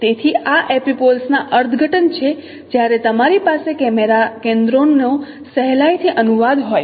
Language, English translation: Gujarati, So these are the interpretations of epipoles when you have simply the translation of camera centers